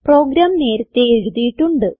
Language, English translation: Malayalam, I have a written program